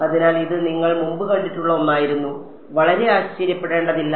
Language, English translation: Malayalam, So, I mean this was something that you have already seen before not very surprising ok